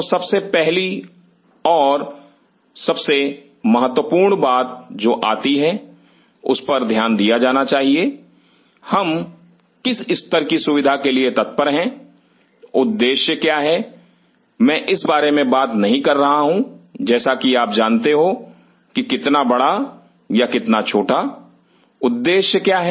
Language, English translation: Hindi, So, the first and foremost important thing which occurs to me should be taken into account that what level of facility are we looking forward to, what is the objective and I am not talking about like you know how big, how small what is the objective